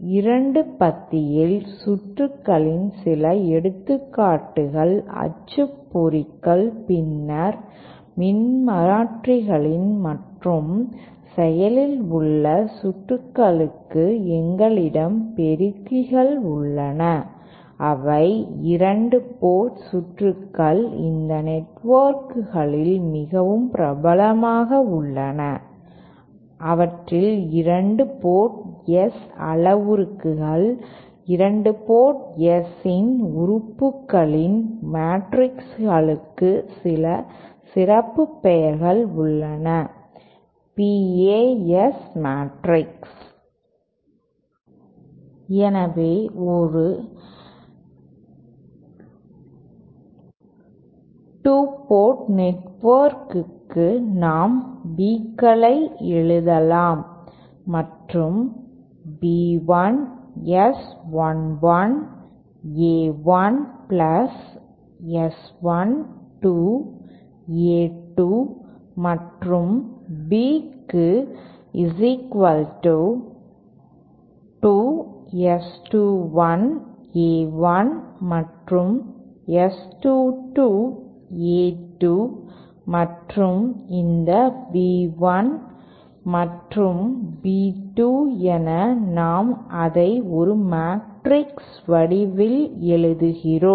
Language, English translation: Tamil, Some examples of 2 passage circuits are printers then alternators and for active circuits we have amplifiers which are also 2 port circuits so popular at these networks that we have some special names for their 2 port S parameters matrixes of the elements of the 2 port S [Pa] S matrixÉ So for 2 a port network we can write the Bs and as B 1 is equal to S 1 1 A 1plus S 1 2 A 2 and B 2 as S 2 1 A 1 plus S 2 2 A2 and these B 1 and B 2, I write it in the form of a matrix